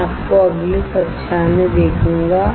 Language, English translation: Hindi, I will see you in the next class